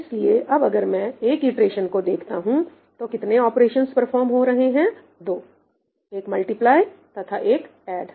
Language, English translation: Hindi, So, if I look at one iteration, what is the number of operations being performed – 2: one multiply add, right